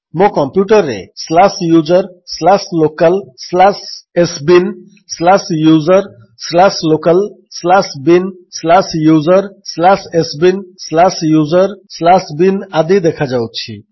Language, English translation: Odia, On my computer it shows slash user slash local slash sbin slash user slash local slash bin slash user slash sbin slash user slash bin etc